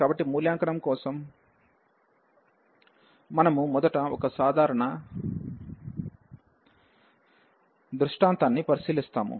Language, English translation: Telugu, So, for the evaluation, we have we will consider first the a simple scenario